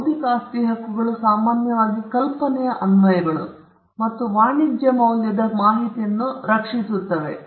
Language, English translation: Kannada, Intellectual property rights generally protects applications of idea and information that are of commercial value